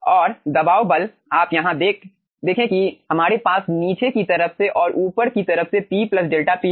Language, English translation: Hindi, you see here we have pressure p from the downward side and from the upward side p plus delta p